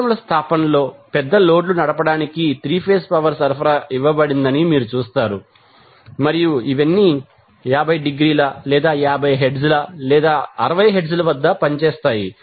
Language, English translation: Telugu, But in industrial establishment, you will directly see that 3 phase power supply is given to run the big loads and all these operating either at 50 degree or 50 hertz or 60 hertz